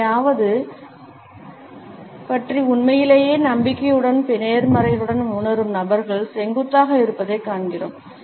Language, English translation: Tamil, And we find that people who really feel confident and positive about something tend to steeple